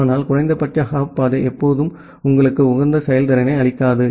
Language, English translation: Tamil, But minimum hop path may not be always give you the optimal performance